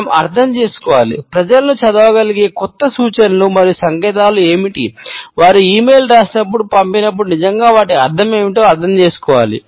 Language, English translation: Telugu, We have to understand, what are the new cues and signals of being able to read people, to understand what do they really mean, when they wrote that e mail when they sent